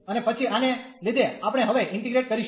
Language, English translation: Gujarati, And then taking this one we will integrate now